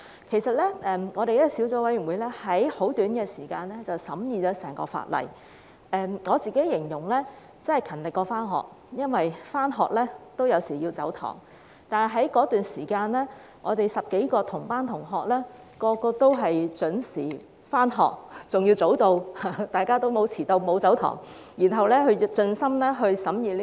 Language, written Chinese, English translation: Cantonese, 其實，法案委員會用很短的時間審議了整項《條例草案》，我形容為"勤力過上學"，因為上學有時也會"走堂"，但我們10多位"同班同學"在這段時間內個個都準時上學，甚至提早到達，大家都沒有遲到、沒有"走堂"，然後盡心盡力審議《條例草案》。, I would say that we were more hardworking than when we were in school because we might have skipped classes in school but during this period the more than 10 of us classmates all went to school on time or even early . No one was late or skipped any class . Everyone has made hisher best efforts to scrutinize the Bill